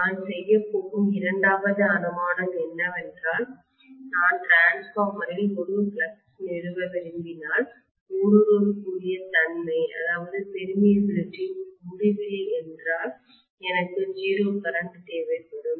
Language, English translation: Tamil, The second assumption that I am going to make is that if I want to establish a flux in the transformer, I will require literally 0 current, if the permeability is infinity